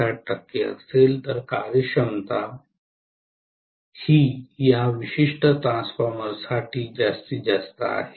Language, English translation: Marathi, 7 percent of the rated load, then efficiency is maximum for this particular transformer